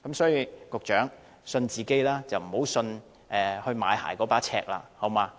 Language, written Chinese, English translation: Cantonese, 所以，請局長相信自己，不要相信買鞋的那把尺。, For this reason will the Secretary please trust himself rather than the measurement for buying shoes